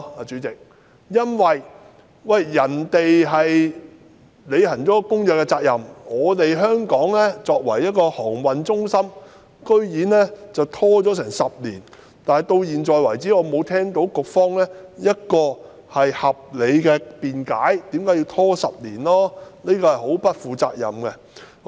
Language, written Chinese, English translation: Cantonese, 主席，世界其他地方履行了《公約》的責任，但香港作為航運中心，居然拖延10年，而局方至今尚未給予合理解釋，我認為這很不負責任。, President while other places in the world have fulfilled their obligations under the Convention Hong Kong as a maritime centre has taken a decade to do so . The Bureau has yet to offer a reasonable explanation which I think is a highly irresponsible act